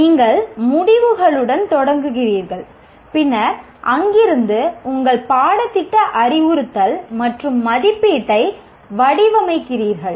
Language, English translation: Tamil, You start with the outcomes and then from there you design your curriculum, instruction and assessment